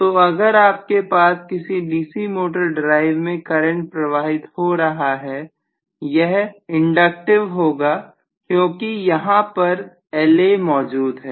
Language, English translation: Hindi, So if you are going to have actually the current flowing through the DC motor drive, which is inductive because La is there